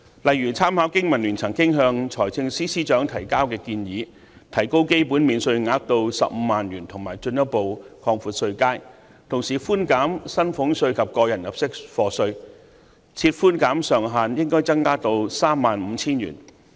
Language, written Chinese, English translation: Cantonese, 例如，參考香港經濟民生聯盟曾經向財政司司長提交的建議，提高基本免稅額至15萬元，以及進一步擴闊稅階，同時寬減薪俸稅及個人入息課稅，寬減上限應該增加至 35,000 元。, For example it may consider adopting the proposals suggested by the Business and Professionals Alliance for Hong Kong BPA to the Financial Secretary earlier which include raising the basic allowance to 150,000 further widening the tax bands as well as cutting salaries tax and tax under personal assessment to allow a maximum reduction of 35,000